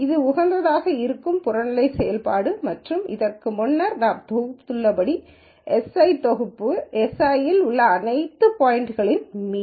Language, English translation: Tamil, So, this is the objective function that is being optimized and as we have been mentioned mentioning before this mu i is a mean of all the points in set s i